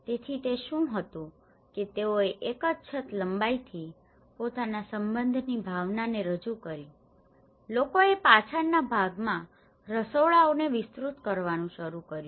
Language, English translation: Gujarati, So, what did it was they extended one single roof to represent the sense of belonging, people started in expanding the kitchens at the rear